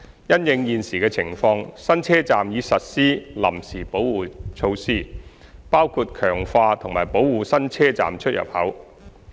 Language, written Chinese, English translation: Cantonese, 因應現時情況，新車站已實施臨時保護措施，包括強化及保護新車站出入口。, In light of the current situation new stations have been protected by temporary installations including strengthening and protective measures at new station entrances